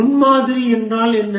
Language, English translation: Tamil, What is a prototype